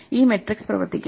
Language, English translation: Malayalam, So this matrix will work